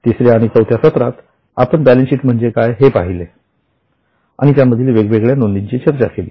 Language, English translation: Marathi, Then in our session 3 and 4 we went into what is balance sheet and what are the items in balance sheet